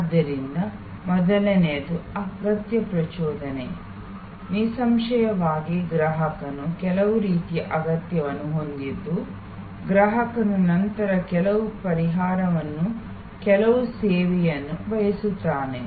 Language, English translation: Kannada, So the first is need arousal; obviously, the customer has some kind of need for which the customer then seeks some solution, some service